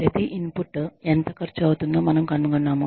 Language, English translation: Telugu, We find out, how much each input has cost us